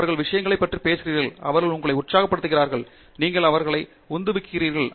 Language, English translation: Tamil, That they are talking about things and they are exciting you and you are motivated by them